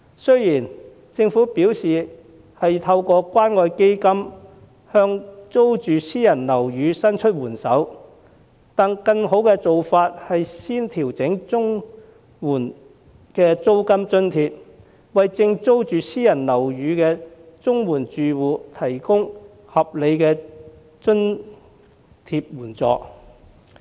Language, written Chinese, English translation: Cantonese, 雖然政府表示已透過關愛基金向租住私人樓宇的綜援申領家庭伸出援手，但更好的做法是先調整綜援制度的租金津貼，為租住私人樓宇的綜援申領家庭提供合理的津貼援助。, Though the Government said that assistance has been provided for CSSA recipient families through the Community Care Fund but the better approach is to first adjust the amounts of rent allowance under the CSSA system so as to provide reasonable rental support for CSSA recipient families renting private housing